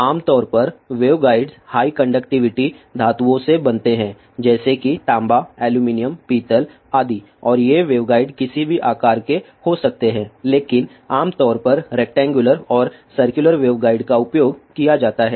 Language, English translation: Hindi, Generally waveguides are made from high conductivity metals such has copper, aluminium, brass etcetera and these waveguides can be of any shape but in general the rectangular and circular waveguides are used